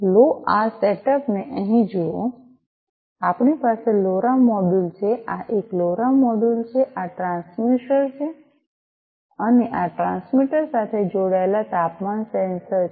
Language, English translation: Gujarati, Let us look at this setup here; we have the LoRa module this one is the LoRa module this is this transmitter and there is a sensor the temperature sensor connected to this transmitter